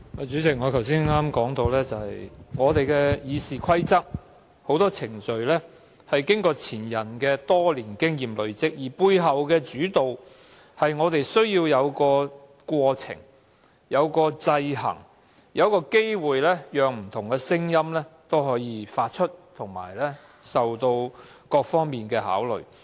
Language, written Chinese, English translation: Cantonese, 主席，我剛才說到，《議事規則》中很多程序是前人多年經驗累積的成果，背後意義在於議會需要有程序及制衡，亦要提供機會讓不同聲音表達意見，作出各方面的考慮。, President I pointed out just now that many procedures of RoP are the fruits of years of experience accumulated by our predecessors with the underlying meaning that the Council needs procedures as well as checks and balances . It is also necessary for the Council to provide opportunities for different quarters to make their voices heard and to consider matters in various perspectives . Power tends to corrupt as the old saying goes